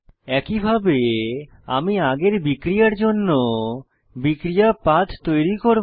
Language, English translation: Bengali, Likewise, I will create the reaction pathway for the previous reaction